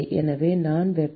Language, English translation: Tamil, So, whatever heat